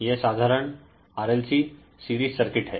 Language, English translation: Hindi, So, this is a simple series RLC circuit